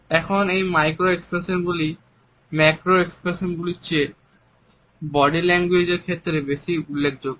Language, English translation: Bengali, Now, these micro expressions are significant aspect of body language much more significant than the macro ones